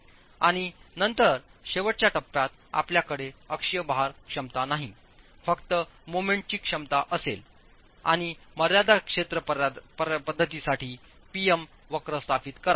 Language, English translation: Marathi, And then with the last stage you will have no axial load capacity, only moment capacity, and establish the PM curve for the limit state approach